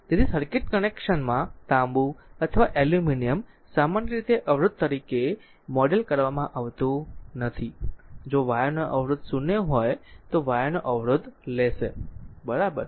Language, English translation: Gujarati, So, in circuit connection copper or aluminum is not usually modeled as a resistor, you will take resistance of the wire in the if you take resistance of wire is 0, right